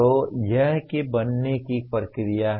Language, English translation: Hindi, So that is what is create process